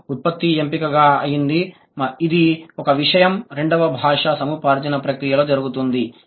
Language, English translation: Telugu, This is one thing that happens in the language acquisition process, the second language acquisition